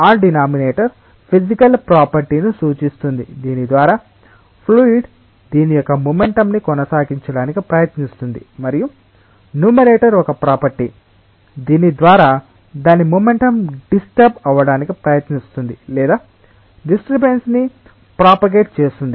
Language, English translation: Telugu, That denominator represents a physical property by virtue of which the fluid tries to maintain its momentum and the numerator is a property by which it tries to disturb its momentum or propagates the disturbance